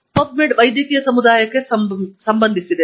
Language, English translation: Kannada, PubMed is relevant for the medical community